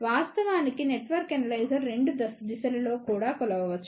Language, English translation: Telugu, Of course, the network analyzer can do measurement in both the directions also